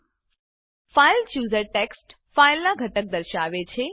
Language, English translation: Gujarati, The fileChooser displays the contents of the text file